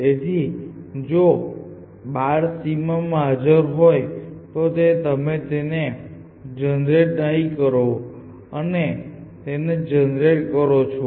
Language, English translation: Gujarati, So, if a child is present in the boundary, then you do not generate it, otherwise you generate it